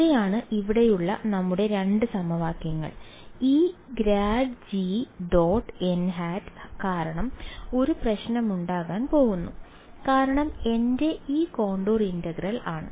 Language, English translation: Malayalam, So, these are our two equations over here and because of this grad g dot n hat there is going to be a problem right because in this contour integral of mine